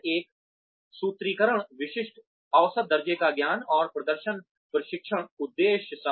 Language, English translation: Hindi, Then, one formulate, specific measurable knowledge and performance training objectives